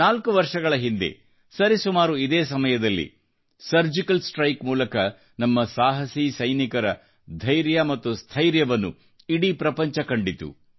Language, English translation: Kannada, Four years ago, around this time, the world witnessed the courage, bravery and valiance of our soldiers during the Surgical Strike